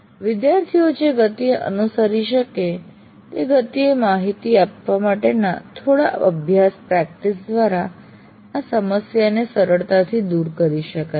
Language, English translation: Gujarati, But this can be readily overcome through a little bit of practice to deliver at a pace that you think the students follow you